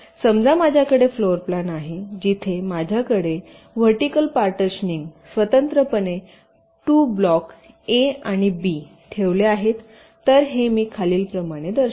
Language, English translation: Marathi, suppose i have a floorplan where i have two blocks, a and b, placed side by side, separated by a vertical partitions